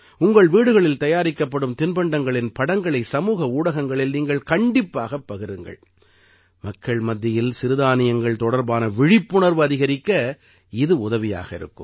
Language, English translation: Tamil, You must share the pictures of such delicacies made in your homes on social media, so that it helps in increasing awareness among people about Millets